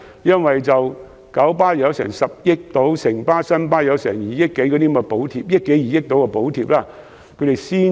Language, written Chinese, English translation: Cantonese, 因為九巴獲發約10億元補貼，城巴和新巴亦有約2億元補貼，所以才可增加班次。, It is because KMB has received a subsidy of about 1 billion and Citybus and NWFB a subsidy of some 200 million to increase the bus frequency